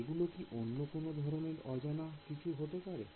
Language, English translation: Bengali, Can they be some other kind of unknown